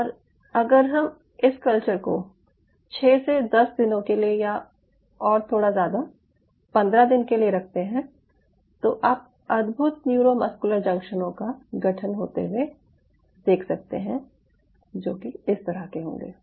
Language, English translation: Hindi, ok, and if you can hold this culture for i would say anything between six to ten days and slightly longer, say fifteen days, you will see wonderful neuromuscular junctions getting formed like this